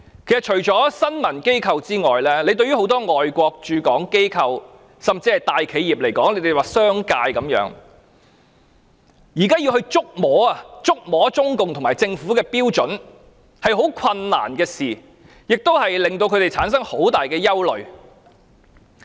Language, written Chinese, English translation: Cantonese, 其實，除了新聞機構外，很多外國駐港機構，甚至大企業或商界，現在要捉摸中共和政府的標準是很困難的事，他們產生了很大憂慮。, In fact apart from news organizations many foreign institutions in Hong Kong and even large - scale enterprises or the business sector also found that the standards of CPC and the Government largely elusive which has aroused their grave concern